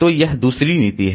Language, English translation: Hindi, So, this is the second policy